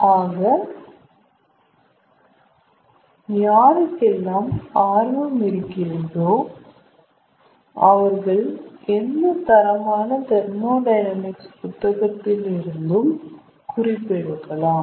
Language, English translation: Tamil, so ah, people who are interested, they can refer any standard book of thermodynamics